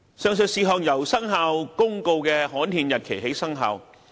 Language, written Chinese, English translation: Cantonese, 上述事項由《生效日期公告》的刊憲日期起生效。, The above provisions have commenced operation on the gazettal date of the Commencement Notice